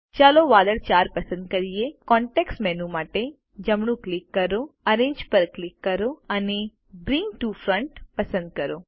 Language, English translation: Gujarati, Lets select cloud 4, right click for context menu, click Arrange and select Bring to Front